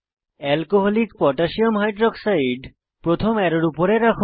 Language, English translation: Bengali, Position Alcoholic Potassium Hydroxide (Alc.KOH) above first arrow